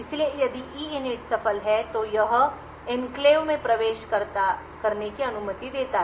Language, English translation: Hindi, So, if EINIT is successful it allows the enclave to be entered